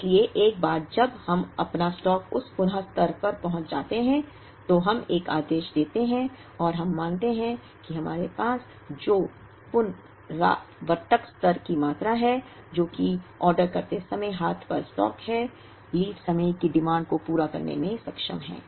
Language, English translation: Hindi, So, once we our stock reaches that reorder level, we place an order and we believe that the reorder level quantity which we have, which is the stock on hand when we place the order, is capable of meeting the lead time demand